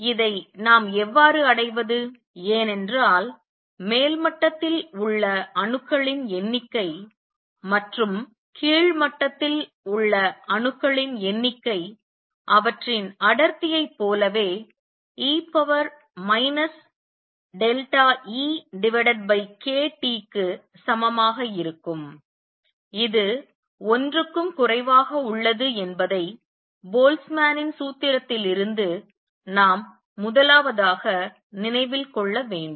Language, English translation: Tamil, How do we achieve this, because number one remember recall from Boltzmann’s formula that the number of atoms in the upper level and number of atoms in the lower level which will be same as their density also is e raise to minus delta E over k T which is also less than 1